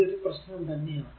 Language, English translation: Malayalam, So, this is the problem actually